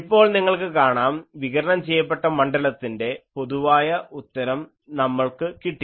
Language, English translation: Malayalam, So, you see that now we got that the general solution of the radiated fields we got